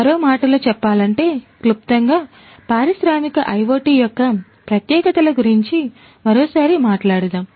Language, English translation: Telugu, In other words, in a nutshell; let us talk about the specificities of industrial IoT once again